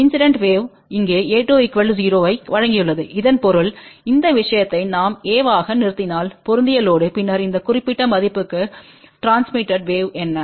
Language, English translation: Tamil, Incident wave over here; provided a 2 is equal to 0 so that means, if we terminate this thing into a match load, then what is the transmitted wave to this particular value divided by the incident